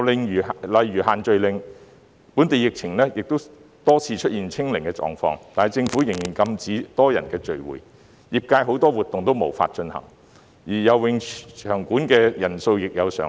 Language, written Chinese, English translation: Cantonese, 又例如限聚令，本地疫情已經多次出現"清零"狀況，但政府仍然禁止多人聚會，業界很多活動都無法進行，游泳場所的人數亦仍然設有上限。, Another example is the No - gathering Order . The local epidemic has already been reduced to zero infection a number of times but the Government still prohibits group gatherings making it impossible for many activities in the sectors to take place and there is still a cap on the number of people in swimming venues